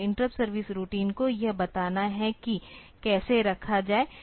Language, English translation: Hindi, So, interrupt service routine have to tell like what how to put that